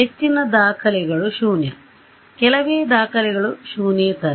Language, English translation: Kannada, Most of the entries are zero, very few entries are non zero ok